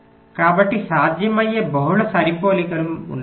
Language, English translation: Telugu, so there can be multiple such matchings